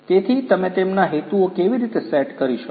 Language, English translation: Gujarati, So, how you can set the objectives for them